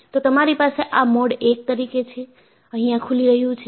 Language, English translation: Gujarati, So, you have this as Mode I, this is opening up